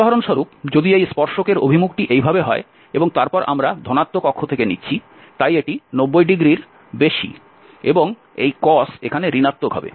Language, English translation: Bengali, If for instance, the direction of this tangent is in this way and then we are taking from the positive axis, so this is greater than 90 and this cos will be negative